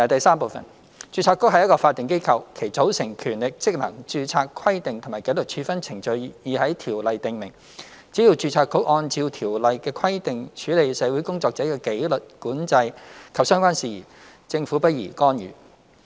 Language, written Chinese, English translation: Cantonese, 三註冊局是一個法定機構，其組成、權力、職能、註冊規定及紀律處分程序已在《條例》訂明，只要註冊局按照《條例》的規定處理社會工作者的紀律管制及相關事宜，政府不宜干預。, 3 The Board is a statutory body and its constitution powers functions registration requirements and disciplinary proceedings have been stipulated in the Ordinance . So long as the Board acts in accordance with the Ordinance on disciplinary control of social workers and related matters it would not be appropriate for the Government to intervene